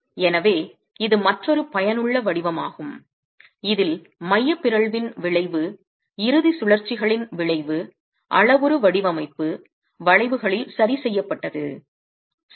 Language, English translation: Tamil, So, this is another useful form in which the effect of eccentricity effect of the end rotations have been captured in parametric design curves